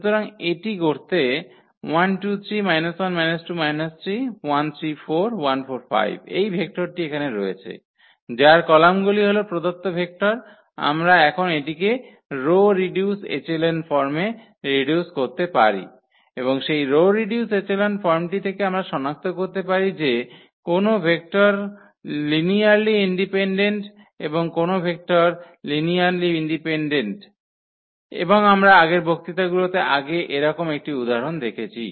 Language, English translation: Bengali, Having this vector here whose columns are the given vectors we can now reduce it to this row reduced echelon form and from that row reduced echelon form we can find out that which vectors are linearly independent and which vectors are linearly dependent and we have seen one such example before in previous lectures